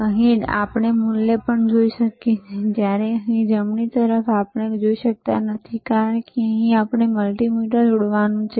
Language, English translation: Gujarati, Here we can also see the value, while here we cannot see right because we have to connect a multimeter here